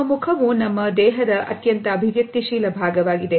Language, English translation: Kannada, Our face is the most expressive part of our body